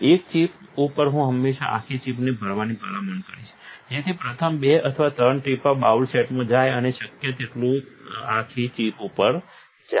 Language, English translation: Gujarati, On a chip, I would always recommend to a fill the entire chip, make the first 2 or 3 drops go in the bowl set, no, the entire chip, as much as possible